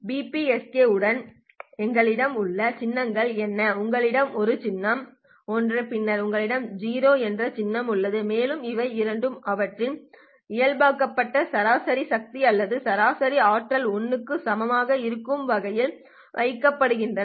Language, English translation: Tamil, We have one symbol which is symbol 1 and then you have a symbol which is 0 and these two are placed such that their normalized average power or average energy is equal to 1